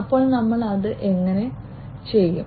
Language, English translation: Malayalam, So, how do we do it